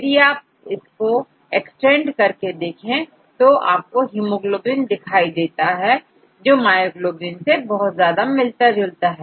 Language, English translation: Hindi, And if you can extend you could also you would also see hemoglobin, which is very similar to myoglobin